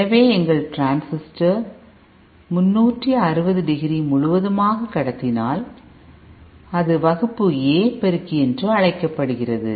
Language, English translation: Tamil, So if our transistor is conducting for the entire 360 degree radiation, then it is called a Class A amplifier